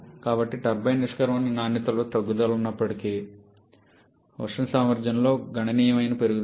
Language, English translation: Telugu, So, though there is a reduction in the turbine exit quality there is a significant increase in the thermal efficiency